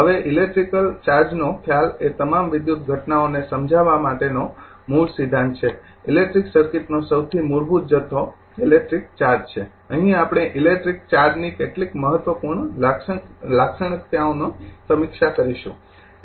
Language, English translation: Gujarati, Now, the concept of electric charge is the underlying principle of explaining all electrical phenomena, the most basic quantity in an electric circuit is the electric charge, here we will review some important characteristic of electric charge